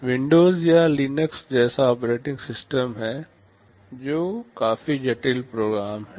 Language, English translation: Hindi, There is an operating system like Windows or Linux, they are fairly complicated program